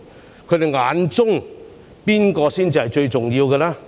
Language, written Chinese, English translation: Cantonese, 在他們眼中，誰才是最重要的呢？, Who are the most important in their eyes?